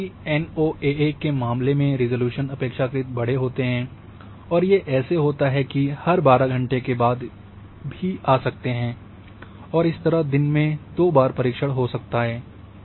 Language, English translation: Hindi, Relatively coarse resolution like in case of NOAA data they may come after even every 12 hours and therefore you may have coverage twice in a day